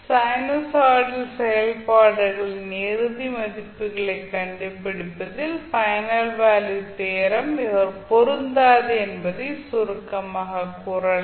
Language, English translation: Tamil, So you can summarize that the final value theorem does not apply in finding the final values of sinusoidal functions